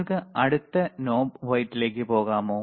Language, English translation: Malayalam, Can you please go to the next knob white that is it right